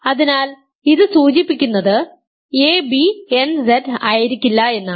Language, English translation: Malayalam, So, this implies a, b cannot be in nZ because nZ is multiples of n